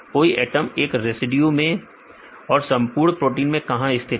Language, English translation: Hindi, Where the location of all the atoms in a residue as well as in the complete protein